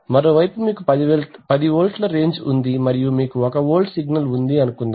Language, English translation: Telugu, On the other hand if you have a, suppose you have a 10 volts range and you have a 1 volt signal